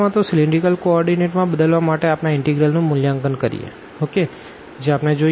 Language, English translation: Gujarati, So, changing into cylindrical co ordinates we evaluate this integral